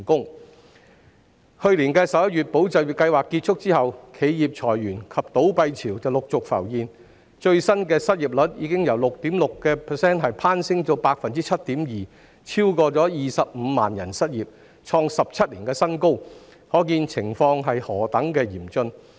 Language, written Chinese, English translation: Cantonese, "保就業"計劃於去年11月結束後，企業裁員及倒閉潮陸續浮現，最新的失業率由 6.6% 攀升至 7.2%， 超過25萬人失業，創17年新高，可見情況何等嚴峻。, Since ESS came to an end in November last year a wave of staff layoffs and company closures has gradually emerged . The latest unemployment rate has climbed from 6.6 % to a 17 - year high of 7.2 % with over 250 000 people unemployed . We can see how severe the situation is